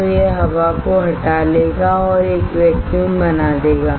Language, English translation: Hindi, So, it will suck up the air and will create a vacuum